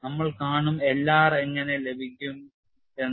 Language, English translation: Malayalam, We will see how L r is obtained and how K r is obtained